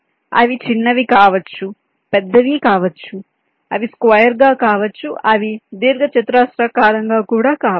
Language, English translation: Telugu, they can be small, they can be big, they can be square, they can be rectangular